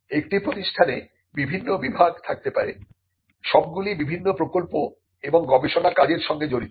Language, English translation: Bengali, In an institution may have different departments, all involving in different kinds of projects and research work